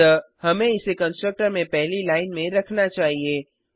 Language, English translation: Hindi, So we must make it the first line of the constructor